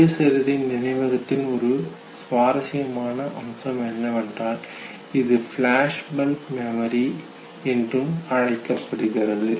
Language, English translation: Tamil, An interesting aspect of autobiographical memory is, what is called as flashbulb memory